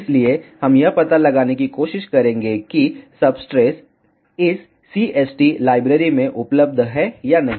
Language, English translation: Hindi, So, we will try to just find out whether the substrate is available in this particular CST library or not